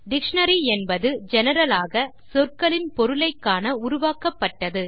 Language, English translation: Tamil, A dictionary in general, is designed to look up for meanings of words